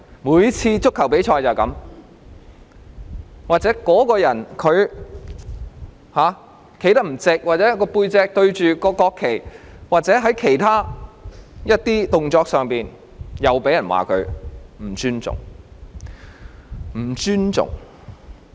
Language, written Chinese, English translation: Cantonese, 每次足球比賽也如是，若某人站得不夠直，或背向國旗或做了其他動作，又被認為不尊重。, In every ball game whenever a person does not stand up straight or faces away from the national flag or makes some other gestures he or she will be regarded as being disrespectful